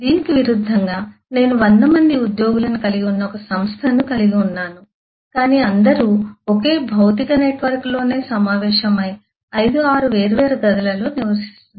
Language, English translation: Telugu, but, in contrast, if i have an organisation which has about couple of 100 employees but all residing within the same physical network within the assembling, maybe residing in 5, 6 different rooms